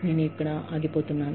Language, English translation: Telugu, I think, I am going to stop here